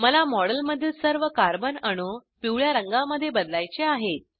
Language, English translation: Marathi, I want to change the colour of all the Carbon atoms in the model, to yellow